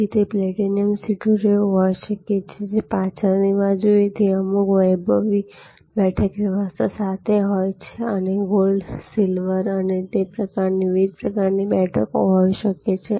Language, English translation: Gujarati, So, it could be like the platinum seats, which are right at the back with some luxury seating arrangement and there could be gold, silver and that sort of different types of seats